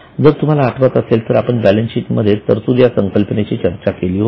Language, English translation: Marathi, If you remember, we had discussed in the balance sheet a concept called provision